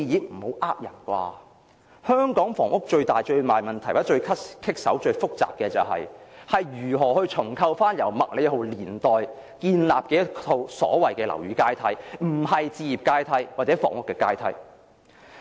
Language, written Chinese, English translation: Cantonese, 不要騙人吧，香港房屋最大最大問題，或最難搞、最複雜的是，如何重構由麥理浩年代建立的樓宇階梯，並不是置業階梯或房屋階梯。, Do not cheat us . The biggest issue in Hong Kongs housing problem or the most difficult and complicated issue is how to reconstruct the buildings ladder of the MACLEHOSE era not the housing ladder